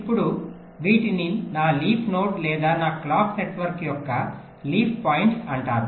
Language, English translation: Telugu, ok, now these are called my leaf node or leaf points of my clock network